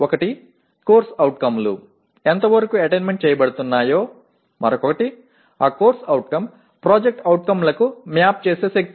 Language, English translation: Telugu, One is to what extent COs are attained and the other one is the strength to which that CO maps on to POs